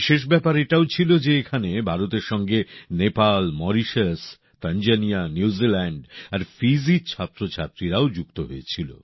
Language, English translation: Bengali, The special element in that was along with India, students from Nepal, Mauritius, Tanzania, New Zealand and Fiji too participated in that activity